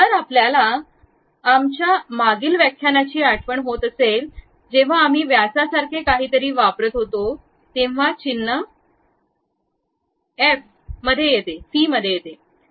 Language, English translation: Marathi, If you recall from our earlier lectures, whenever we use something like diameter, the symbol phi comes into picture